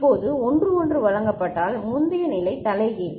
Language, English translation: Tamil, Now if 1 1 is given the previous state is just inverted